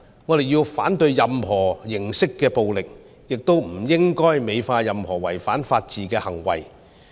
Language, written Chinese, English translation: Cantonese, 我們要反對任何形式的暴力，亦不應該美化任何違反法治的行為。, We must oppose any forms of violence . We must not glorify any acts that violate the rule of law